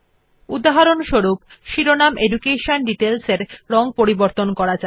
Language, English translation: Bengali, For example, let us color the heading EDUCATION DETAILS